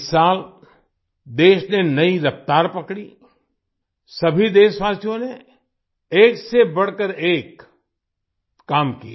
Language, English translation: Hindi, This year the country gained a new momentum, all the countrymen performed one better than the other